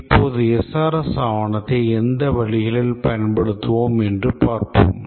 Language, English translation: Tamil, Now let's see if we produce a SRS document in what ways it will be used